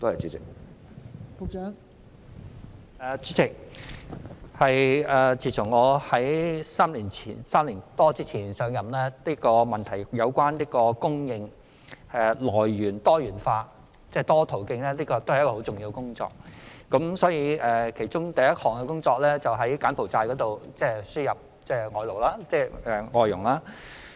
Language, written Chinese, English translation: Cantonese, 代理主席，我在3年多前上任時，明白外傭供應來源多元化是十分重要的工作，因而我第一項工作是從柬埔寨輸入外傭。, Deputy President when I took office more than three years ago I understood that it was very important to diversify the sources of supply of FDHs . Hence my first task was to import FDHs from Cambodia